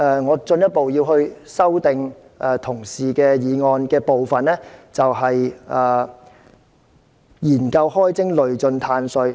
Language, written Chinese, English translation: Cantonese, 我進一步修正議案的另一個原因，就是要提出研究開徵累進"碳稅"。, Another reason why I proposed an amendment to the motion is to suggest conducting a study on levying a progressive carbon tax